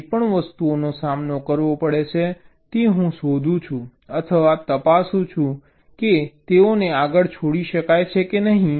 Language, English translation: Gujarati, whatever objects are encountered, i find or check whether they can be shifted left any further or not